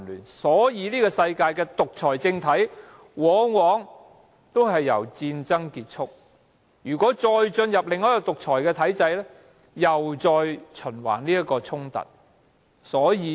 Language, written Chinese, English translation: Cantonese, 此所以世上的獨裁政體往往也因為戰爭而崩解，如果由另一個獨裁體制掌權，衝突又周而復始。, That is why most autocracies in the world often collapse in wars . And the cycle of conflicts continues if an autocracy is replaced by another